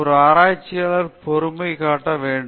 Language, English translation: Tamil, A researcher should show responsibility